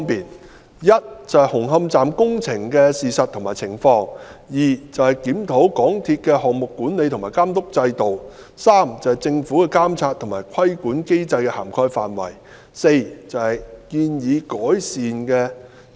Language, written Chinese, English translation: Cantonese, 第一，是紅磡站工程的事實和情況；第二，檢討港鐵公司的項目管理和監督制度；第三，政府的監察和規管機制的涵蓋範圍；第四，建議適當改善措施。, First the facts and circumstances of the construction works at Hung Hom Station; second the review of the project management and supervision system of MTRCL; third the extent of the monitoring and control mechanisms of the Government and fourth the recommendations for suitable improvement measures